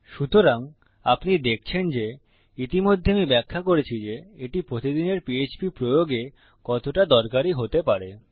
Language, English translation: Bengali, So you see, already I have explained how useful these can be in so many every day php applications